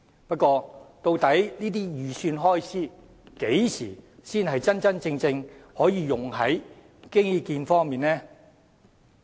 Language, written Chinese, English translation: Cantonese, 不過，究竟這些預算開支何時才能真真正正用在基建方面呢？, However when can these estimated expenditures be really spent on developing infrastructure?